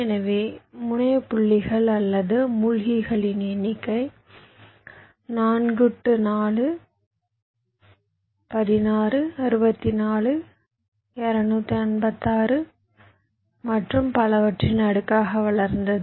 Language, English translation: Tamil, so number of terminal points or sinks grew as a power of four, four, sixteen, sixty four, two, fifty, six and so on